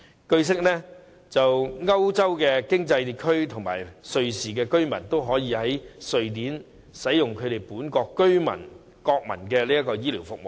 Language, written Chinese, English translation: Cantonese, 據悉，歐洲經濟區和瑞士居民均可以在瑞典使用本國居民或國民的醫療服務。, As I have learnt residents in the European Economic Area and Switzerland may use the health care services in Sweden just like its local residents or nationals do